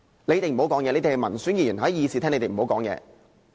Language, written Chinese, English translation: Cantonese, 你們這些民選議員，在議事廳內不要發言。, The elected Members should say nothing inside the Chamber